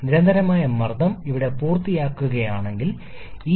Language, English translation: Malayalam, If the constant pressure line finishes here, the area under this curve is lesser